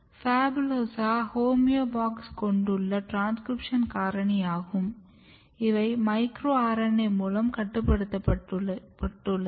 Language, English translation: Tamil, This is a class of homeobox domain containing transcription factor and it is regulated by micro RNA